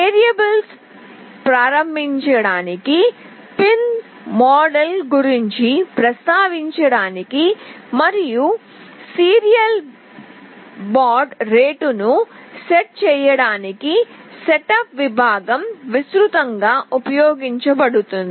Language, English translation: Telugu, The setup section is widely used to initialize the variables, mention about the pin modes and set the serial baud rate etc